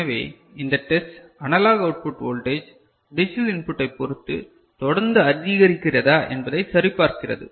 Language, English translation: Tamil, So, it checks if analog output voltage increases regularly with the increase in digital input